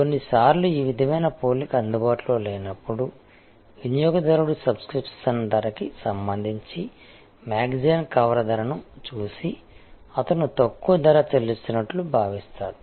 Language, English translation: Telugu, Some times when this sort of comparison is not available, the customer may look at the cover price of a magazine with respect to the subscription price and feel that, he is paying a lower price